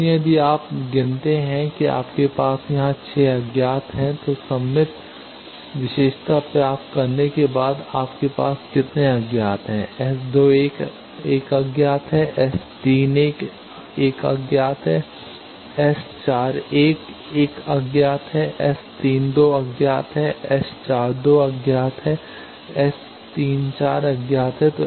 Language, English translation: Hindi, So, if you count that you have 6 unknowns here, after invoking the symmetric property you are having how many unknowns S 21 is an unknown, S 31 is an unknown, S 41 is an unknown, S 32 is an unknown, S 42 is an unknown, and S 34 is an unknown